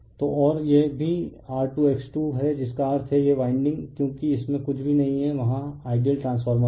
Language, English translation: Hindi, So, and this is also R 2 X 2 that means, this winding as it nothing is there, there ideal transformer